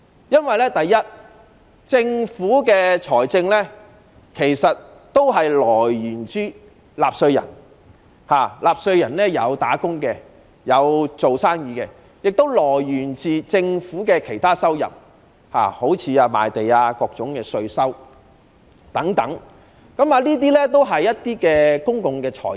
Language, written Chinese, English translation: Cantonese, 因為首先，政府財政收入均源自於納稅人，例如"打工仔女"、生意人，亦源自政府的其他收入，例如賣地或各種稅收等，全都是公共財政。, Because first of all the sources of government revenue are from taxpayers such as employees and businessmen as well as from other income sources such as land sale and various kinds of taxes . All of them are public finance